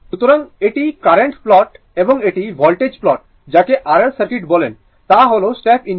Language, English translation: Bengali, So, this is the current plot and this is the voltage plot, for your what you call that is your R L circuit is the step input right